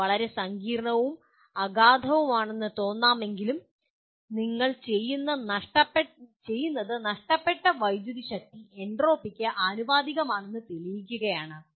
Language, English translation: Malayalam, It may sound quite complex and profound but what you are doing is proving that lost power is proportional to entropy is only recalling